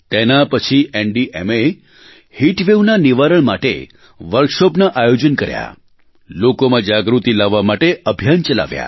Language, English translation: Gujarati, After that, NDMA organized workshops on heat wave management as part of a campaign to raise awareness in people